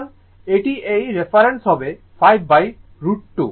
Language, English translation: Bengali, So, it will be this is reference so, 5 by root 2